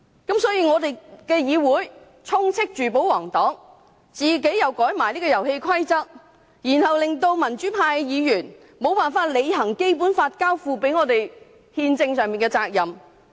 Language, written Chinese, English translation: Cantonese, 故此，議會充斥着保皇黨，"遊戲規則"亦被修改了，民主派議員便無法履行《基本法》交託我們的憲政責任。, The Council is filled with pro - Government Members and the rules of the game have been changed . Pro - democracy Members are unable to filful the constitutional responsibility entrusted to us by the Basic Law